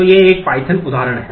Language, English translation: Hindi, So, this is a python example